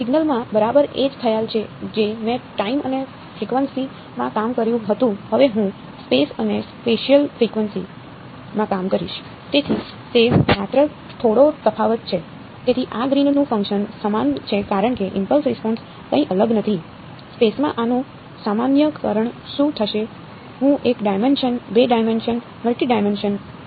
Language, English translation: Gujarati, Exactly the same concept in signals I worked in time and frequency now I will work in space and spatial frequency